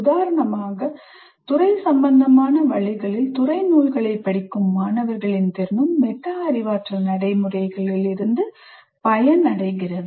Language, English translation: Tamil, For instance, students' ability to read disciplinary texts in discipline appropriate ways would also benefit from metacognitive practice